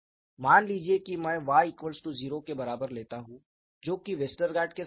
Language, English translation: Hindi, Suppose I take capital Y equal to 0 which is very similar to what Westergaard did